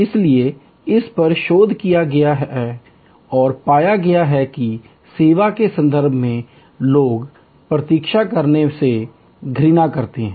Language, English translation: Hindi, So, it has been researched and found that in the service context people hate to wait